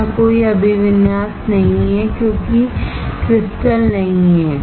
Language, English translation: Hindi, Here there is no orientation because there is no crystal